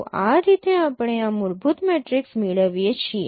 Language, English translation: Gujarati, So you will get the same fundamental matrices